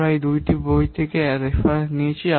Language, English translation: Bengali, We have taken the references from these two books